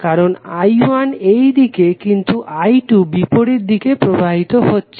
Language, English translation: Bengali, Because I 1 is in this direction but I 2 is flowing in opposite direction